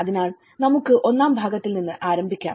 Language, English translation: Malayalam, So let’s start with the part one